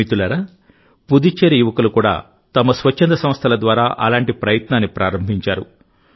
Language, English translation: Telugu, Friends, one such effort has also been undertaken by the youth of Puducherry through their voluntary organizations